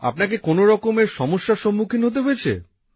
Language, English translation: Bengali, Did you also have to face hurdles of any kind